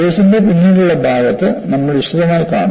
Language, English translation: Malayalam, We would see in detail during the later part of the course